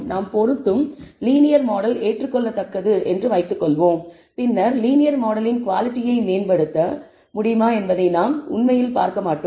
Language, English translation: Tamil, Suppose, the linear model that we fit is acceptable then we would not actually see whether we can improve the quality of the linear model